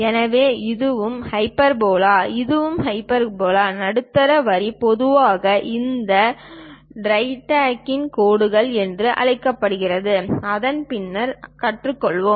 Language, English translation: Tamil, So, this is also hyperbola; this one is also hyperbola; the middle line usually we call this directrix lines, which we will learn later